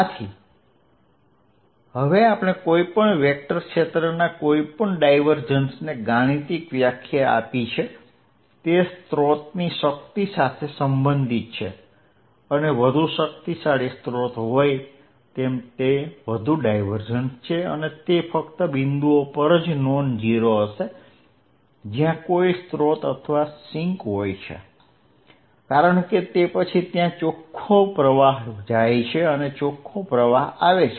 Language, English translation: Gujarati, So, now we have given a mathematical definition to any divergence of any vector field, it is a related to the strength of the source and larger the source more powerful it is more the divergence and it is going to be non zero only at points, where there is a source or a sink, because then there is a net out flow or net inflow